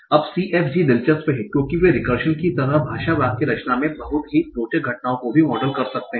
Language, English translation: Hindi, Now, CFGs are interesting because they can also model some very interesting phenomena in language syntax, like recursion